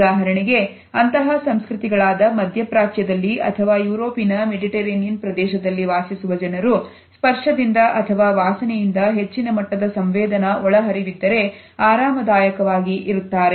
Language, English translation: Kannada, People in such cultures for example, people in the Middle East or in the Mediterranean region of Europe are comfortable with high levels of sensory inputs from touch or also from a smell